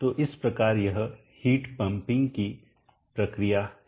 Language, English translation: Hindi, So this is the process of heat pumping